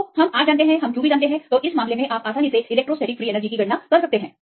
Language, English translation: Hindi, So, R we know then q also we know that and in this case; you can easily calculate the electrostatic free energy